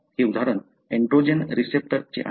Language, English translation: Marathi, This example is of androgen receptor